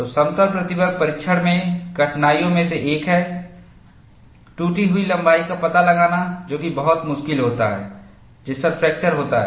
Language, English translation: Hindi, So, one of the difficulties in plane stress testing is, it is very difficult to find out the cracked length at which fracture occurs